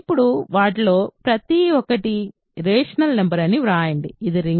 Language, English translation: Telugu, Now, write each of them is a rational number, is this a ring